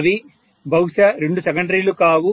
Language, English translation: Telugu, It may not be just two secondary